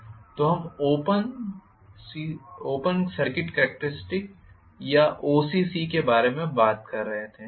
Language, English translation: Hindi, So, we were talking about OCC or Open Circuit Characteristics